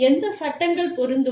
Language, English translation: Tamil, Which laws will apply